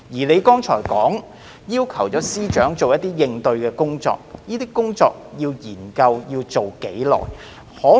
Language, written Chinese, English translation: Cantonese, 你剛才說司長會做一些應對工作，這些工作、研究要進行多久？, You have said earlier that the Chief Secretary will undertake some corresponding work . How long will such work and studies take?